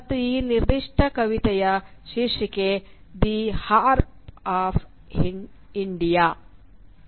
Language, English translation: Kannada, And this particular poem is titled “The Harp of India”